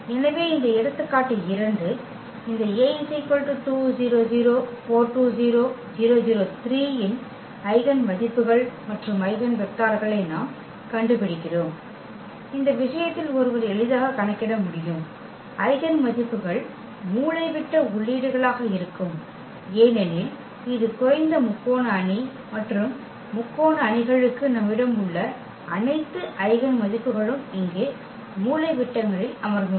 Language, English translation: Tamil, So this example 2, where we determine the eigenvalues and eigenvectors of this A the matrix is given here 2 4 0 0 2 0 0 0 3 and in this case one can compute easily the eigenvalues will be the diagonal entries because it is a lower triangular matrix and for the triangular matrices, we have all the eigenvalues sitting on the diagonals here